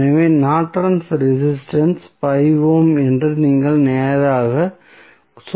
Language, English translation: Tamil, So, you can straight away say that the Norton's resistance would be 5 ohm